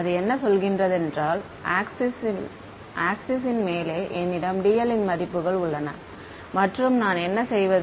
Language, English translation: Tamil, It says that let us say on this axis I have values of dl and what do I do